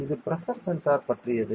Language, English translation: Tamil, So, this is about the pressure sensor